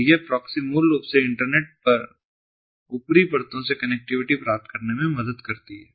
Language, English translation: Hindi, so this proxies basically help in achieving connectivity to the upper layers on the internet